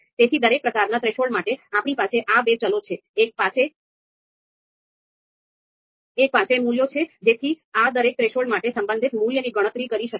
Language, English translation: Gujarati, So for each type of threshold, we have these two variables, one is indicating you know is having the values so that the relative value for each of these threshold can be computed